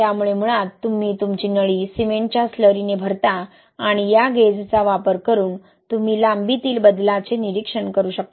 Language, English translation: Marathi, So basically you fill your tube with cement slurry and using this gauge you can monitor the change in length, right